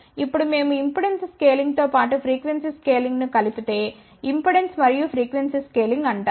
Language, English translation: Telugu, Now we combine impedance scaling as well as frequency scaling it is known as impedance and frequency scaling